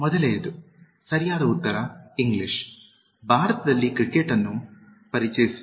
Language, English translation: Kannada, The first one, the correct answer: The English introduced cricket in India